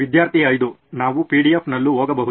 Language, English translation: Kannada, Like we can go on PDF also